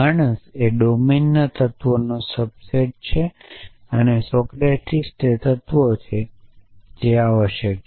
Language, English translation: Gujarati, So, man is a subset of the elements of the domine and Socrates is 1 those elements essentially